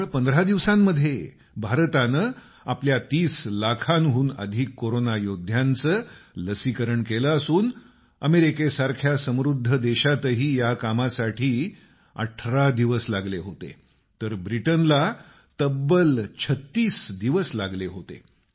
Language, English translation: Marathi, In just 15 days, India has vaccinated over 30 lakh Corona Warriors, whereas an advanced country such as America took 18 days to get the same done; Britain 36 days